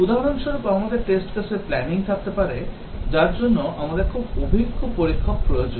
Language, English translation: Bengali, For example, we might have test case planning, so for which, we need very experienced testers